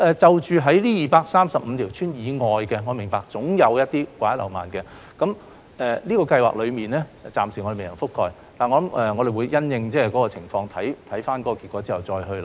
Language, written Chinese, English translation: Cantonese, 至於這235條鄉村以外的地方，我明白總有掛一漏萬的情況，有些地方是這項資助計劃暫時未能覆蓋的，我們會因應情況，看看結果之後再作考慮。, In regard to the places beyond these 235 villages I understand that there are surely some omissions . For the places which are not covered by the Subsidy Scheme for the time being we will consider them after checking the result of the Scheme